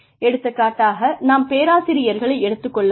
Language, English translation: Tamil, For example, let us take the case of professors, we are told